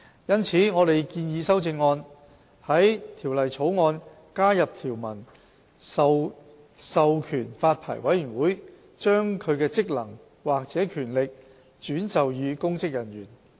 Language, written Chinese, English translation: Cantonese, 因此，我們建議修正案在《條例草案》加入條文，授權發牌委員會把其職能或權力轉授予公職人員。, As such we propose an amendment to add a provision to the Bill to authorize the Licensing Board to delegate its functions or powers to a public officer